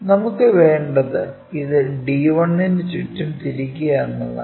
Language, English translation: Malayalam, What we want is rotate this around d 1